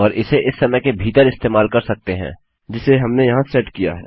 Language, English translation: Hindi, And you could use it within this time that we have set here